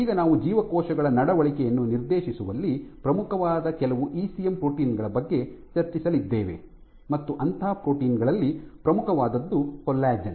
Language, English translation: Kannada, I will now go and discuss some of the ECM proteins which are of key essence in directing behavior of cells and the most important of them is collagen